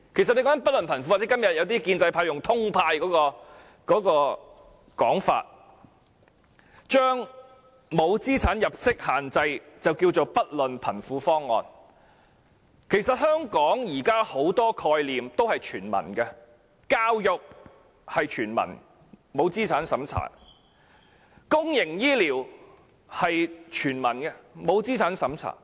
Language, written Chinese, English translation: Cantonese, 說到"不論貧富"，今天一些建制派議員使用"通派"的說法，將沒有資產入息限制稱為"不論貧富"方案，但其實現時香港很多概念也是全民的，教育是全民的，不設資產審查；公營醫療是全民的，不設資產審查。, Speaking of regardless of rich or poor today some Members of the pro - establishment camp have put it as indiscriminate distribution and called the non - means - tested proposal as a regardless of rich or poor option . However now actually many practices in Hong Kong are founded on the concept of universality . Education is universal without any means test